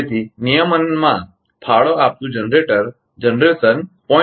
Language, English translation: Gujarati, So, generation contributing to regulation is 0